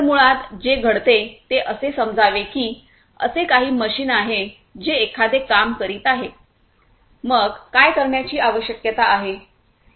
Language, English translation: Marathi, So, basically what happens is let us say that there is some machine which is doing a job there is some machine which is doing a job